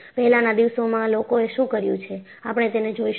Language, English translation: Gujarati, And, what people have done in those days, we will look at it